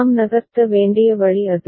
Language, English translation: Tamil, That is the way we have to move